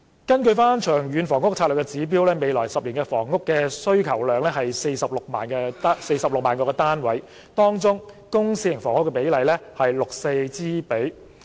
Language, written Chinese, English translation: Cantonese, 根據《長遠房屋策略》指標，未來10年的房屋需求量是46萬個單位，當中公私營房屋的比例為 6：4。, According to the indicator in the Long Term Housing Strategy the demand for housing in the next 10 years is 460 000 flats and the ratio of public to private housing is 6col4